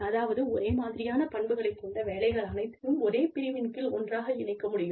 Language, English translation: Tamil, Which means that, jobs with the same kind of characteristics, can be put together, in a category